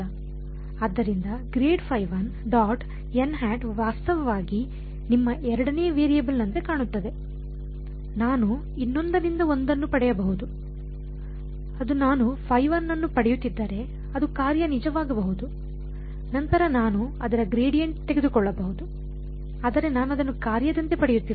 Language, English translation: Kannada, So, grad phi 1 dot n hat is actually your second variable it looks like, I can derived one from the other that would be true if I were getting phi 1 is the function, then I can take its gradient, but I am not getting it as the function